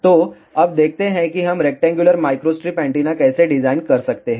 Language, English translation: Hindi, So, now let us see how we can design rectangular microstrip antenna